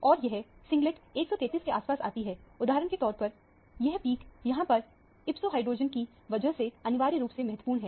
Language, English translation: Hindi, And, this singlet which is around 133 for example, this peak here is essentially because of the ipso hydrogen